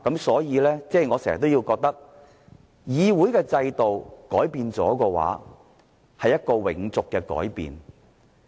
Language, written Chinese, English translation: Cantonese, 所以，我時常覺得，如果議會的制度改變了，便是一個永續的改變。, Thus I always think that if changes are made to the system of the Legislative Council the changes will be long - lasting